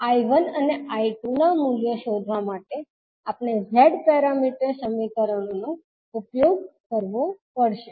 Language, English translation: Gujarati, We have to use the Z parameter equations to find out the values of I1 and I2